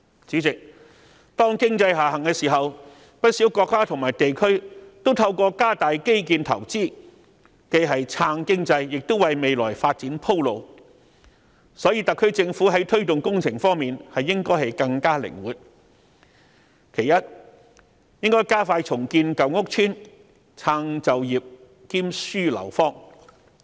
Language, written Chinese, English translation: Cantonese, 主席，當經濟下行時，不少國家和地區均透過加大基建投資，既是撐經濟，亦是為未來發展鋪路，所以特區政府在推動工程方面應更加靈活，其一，應加快重建舊屋村，撐就業兼紓樓荒。, President when there is an economic downturn many governments will increase investments in public infrastructure to boost the economy and pave the way for recovery . Therefore the SAR Government should be more flexible in implementing works projects . First it should speed up the redevelopment of old housing estates as a way of generating jobs opportunities and reducing housing shortage